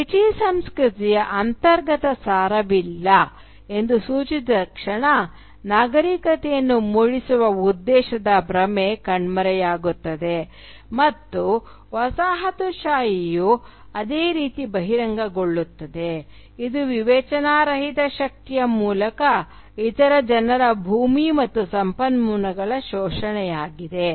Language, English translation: Kannada, The moment it is pointed out that there is no inherent essence of British culture, the illusion of the civilising mission disappears and colonialism is revealed just as it is, which is an exploitation of other people’s land and resources through brute force